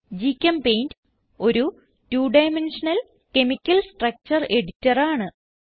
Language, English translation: Malayalam, GChemPaint is a two dimensional chemical structure editor